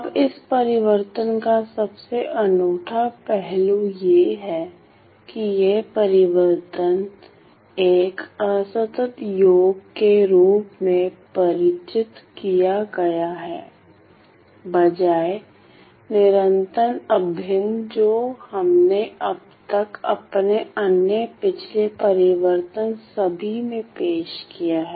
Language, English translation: Hindi, Now, the most unique aspect of this transform is that this particular transform is defined as a discrete sum rather than the continuous integral that we have so far introduced in all my other previous transforms